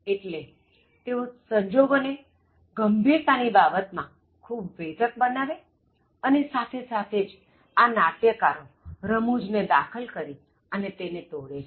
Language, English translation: Gujarati, So, they make the situation very intense, in terms of seriousness, but at the same time these play wrights also break it by introducing humour